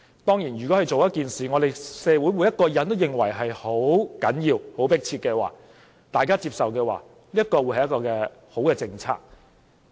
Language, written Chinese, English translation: Cantonese, 當然，如果政府做了一件事，是社會上每個人也認為十分重要、十分迫切而大家又接受的話，這便是好政策。, Of course if the Government has launched a policy that everyone in society accepts as important and urgent it is a good policy